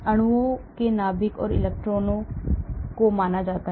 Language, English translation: Hindi, so nuclei and electrons of the molecules are considered